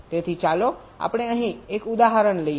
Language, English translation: Gujarati, so lets take an example here